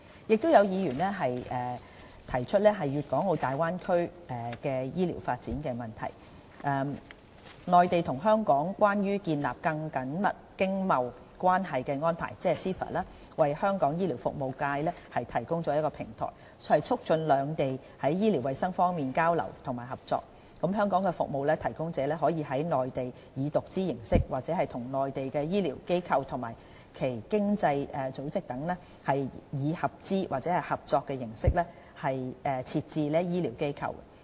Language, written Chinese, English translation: Cantonese, 有議員提出粵港澳大灣區醫療發展的問題，"內地與香港關於建立更緊密經貿關係的安排"為香港醫療服務業界提供了平台，促進兩地在醫療衞生方面的交流和合作，香港服務提供者可以在內地以獨資形式、或與內地的醫療機構和其他經濟組織等以合資或合作形式設置醫療機構。, Some Members raised the issue of health care development in the Guangdong - Hong Kong - Macao Bay Area . The Mainland and Hong Kong Closer Economic Partnership Arrangement CEPA provides a platform for the medical services sector of Hong Kong promoting exchange and cooperation in health care between the two places . Through this arrangement Hong Kong service suppliers can set up in the Mainland wholly - owned medical institutions or medical institutions in the form of equity joint venture or contractual joint venture with among others medical institutions and other economic organizations in the Mainland